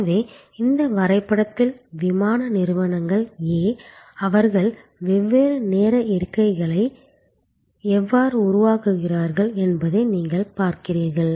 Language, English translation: Tamil, So, in this diagram you see how the airlines A, they create different times of seats